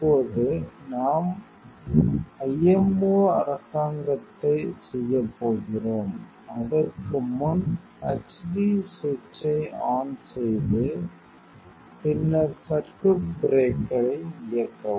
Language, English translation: Tamil, Now, we are going to doing the IMO government, before that switch on the h d switch then switch on the circuit breaker